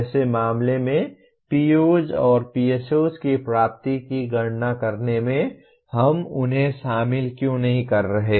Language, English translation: Hindi, In such a case why are we not including them in computing the attainment of POs and PSOs